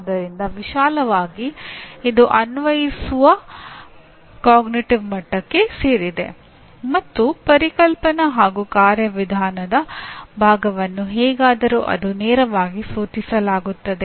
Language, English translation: Kannada, So broadly it belongs to the Apply cognitive level and you have Conceptual and Procedural part is anyway implied directly